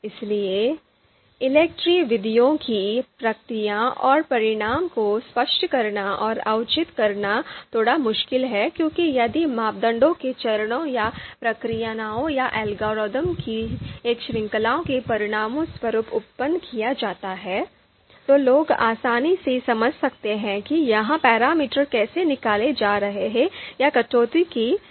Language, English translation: Hindi, Therefore, the process and outcomes of ELECTRE methods are slightly difficult to explain and justify because if the parameters are produced outcome of you know you know if they are produced as an outcome of a you know series of steps or processes or algorithm, then people can easily understand okay how these parameters are being derived or being deduced